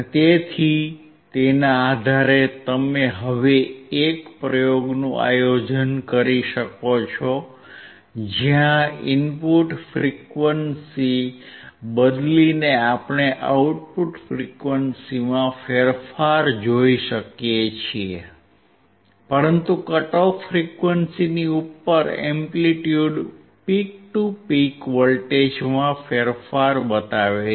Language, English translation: Gujarati, So, based on that you now can see a practical experiment, where changing the input frequency we can see the change in output frequency, but above the cut off frequency there is a change in the amplitude peak to peak voltage